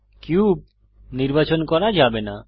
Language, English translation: Bengali, The cube cannot be selected